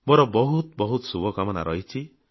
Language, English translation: Odia, Best wishes to you